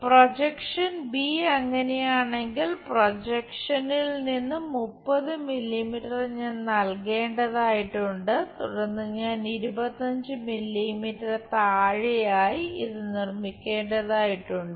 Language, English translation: Malayalam, The projector C if that is the case from projector 30 mm I have to give and go ahead construct this below 25 mm